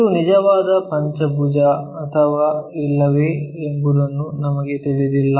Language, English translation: Kannada, We do not know whether it is a true pentagon or not